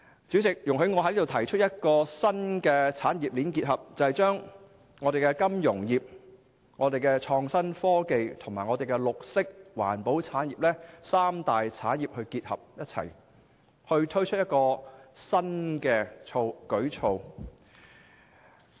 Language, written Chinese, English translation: Cantonese, 主席，我想提出一個新產業鏈結合，便是將香港的金融業、創新科技和綠色環保產業，這三大產業結合起來並推出新的舉措。, President I would like to propose a new industrial chain integrating three key industries namely the financial industry the innovation and technology industry and the green or environmental industry and introducing new initiatives